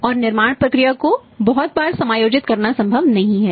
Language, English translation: Hindi, And adjusting the manufacturing process very, very frequently is not possible